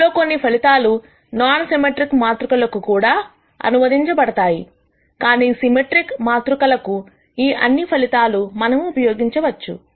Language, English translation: Telugu, Some of these results translate to non symmetric matrices also, but for symmetric matrices, all of these are results that we can use